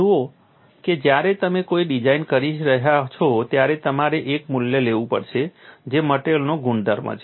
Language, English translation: Gujarati, See when you are doing a design, you will have to take a value which is a property of the material and when does become a property of the material